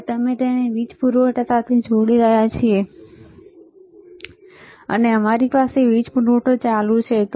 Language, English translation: Gujarati, Now we are connecting this to the power supply, and we have switch on the power supply